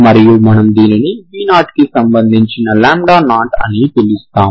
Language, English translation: Telugu, And we call this lambda 0 corresponding to v equal to 0